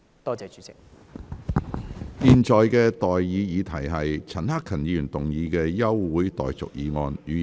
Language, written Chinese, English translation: Cantonese, 我現在向各位提出的待議議題是：陳克勤議員動議的休會待續議案，予以通過。, I now propose the question to you and that is That the adjournment motion moved by Mr CHAN Hak - kan be passed